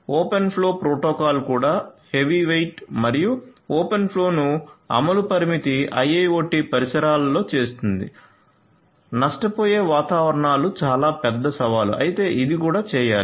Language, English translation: Telugu, Open flow protocol itself is heavyweight and implementing open flow as such in IIoT constraint environments lossy environments is a huge challenge which is quite understandable, but it has to be done as well